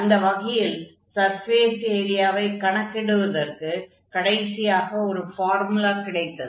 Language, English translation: Tamil, So, in this case, we have finally this formula for computation of the surface area